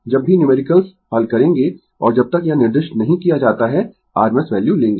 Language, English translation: Hindi, Whenever we will solve numericals unless and until it is specified we will take the rms value